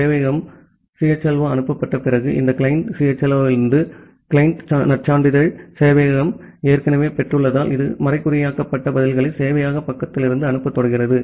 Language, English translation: Tamil, After the server CHLO is sent, because the server has already received the client credential from this client CHLO, it starts sending the encrypted responses from the server side